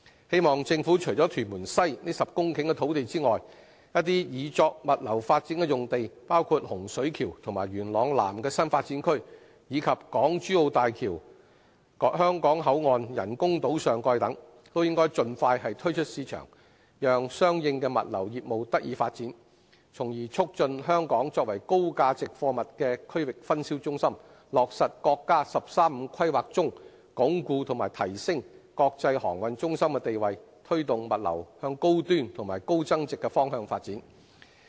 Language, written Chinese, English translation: Cantonese, 希望政府除預留屯門西這10公頃土地外，一些擬作物流發展的用地，包括洪水橋和元朗南的新發展區，以及港珠澳大橋香港口岸人工島上蓋等，都應盡快推出市場，讓相應的物流業務得以發展，從而促進香港作為高價值貨物的區域分銷中心，落實國家"十三五"規劃中，鞏固和提升國際航運中心的地位，推動物流向高端和高增值的方向發展。, It is hoped that apart from these 10 hectares of land reserved in Tuen Mun West the Government would also make available as soon as possible other sites intended for logistics development including the New Development Areas in Hung Shui Kiu and Yuen Long South and the topside of the boundary crossing facilities island of the Hong Kong - Zhuhai - Macao Bridge to facilitate the development of relevant logistics services . This will help promote Hong Kongs status as a regional distribution centre of high value goods materialize the pledge in the National 13 Five - Year Plan that Hong Kongs status as an international maritime centre will be consolidated and enhanced and enable our logistics industry to move towards high - end and high value - added developments